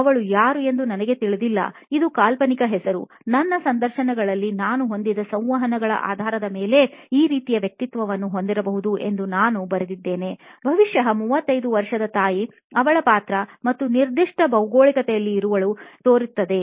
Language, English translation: Kannada, I do not know them this was a fictional name, I wrote down what kind of personality she could be based on the interactions that I had in my interviews probably shows up as a 35 year old mom, her role and particular geography